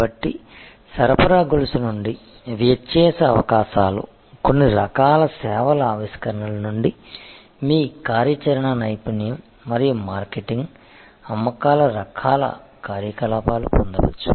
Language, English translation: Telugu, So, differentiation opportunities can be derived out of supply chain, out of certain kinds of service innovation, your operational excellence and marketing sales types of activities